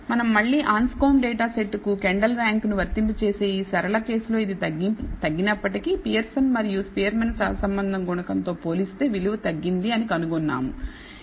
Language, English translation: Telugu, So, again if we apply it to Kendall’s rank to this Anscombe data set we find that although it has decreased for this linear case the value has decreased as compared to the Pearson and Spearman correlation coefficient, it still has a reasonably high value